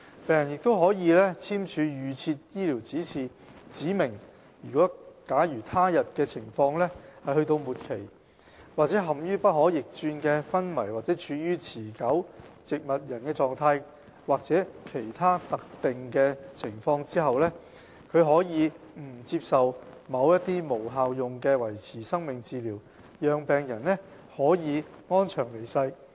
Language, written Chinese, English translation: Cantonese, 病人亦可以簽署預設醫療指示，指明假如他的病情到了末期、或陷於不可逆轉的昏迷或處於持續植物人狀況、或在其他特定情況時，他可以不接受某些無效用的維持生命治療，讓病人可以安詳離世。, A patient can also sign an advance directive to specify that when he is terminally ill in a state of irreversible coma or in a persistent vegetative state or under other specific circumstances he chooses not to receive any futile life - sustaining treatment and wishes to pass away peacefully